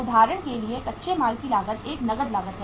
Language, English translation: Hindi, For example raw material cost is a cash cost